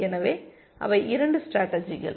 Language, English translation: Tamil, So, those are the 2 strategies